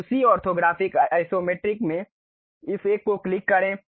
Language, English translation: Hindi, Now, in the same orthographic Isometric click this down one